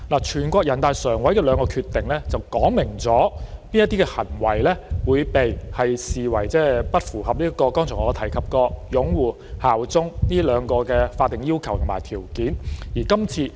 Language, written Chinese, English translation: Cantonese, 全國人民代表大會常務委員會的兩項決定，訂明某些行為會被視為不符合我剛才提及的兩個法定要求和條件，即"擁護"和"效忠"。, The two decisions of the Standing Committee of the National Peoples Congress NPCSC stipulate that certain acts are deemed as not complying with the two statutory requirements and conditions which I mentioned previously that is upholding and bearing allegiance